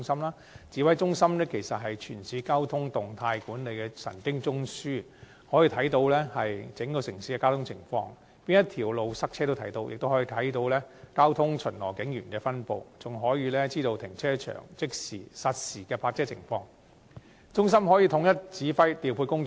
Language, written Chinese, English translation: Cantonese, 該指揮中心是全市交通動態管理的神經中樞，可以看到整個城市的交通情況，哪條道路擠塞、交通巡邏警員的分布，以及各停車場實時泊車情況皆一目了然，讓中心得以統一指揮調配工作。, A nerve centre overseeing the dynamic management of the entire municipalitys traffic the Centre commands a prospect of the traffic situation of the whole municipality from the location of congested routes the distribution of traffic patrol officers to the real - time parking situation of car parks all could be seen at a glance which facilitate the Centres coordination of the command and deployment work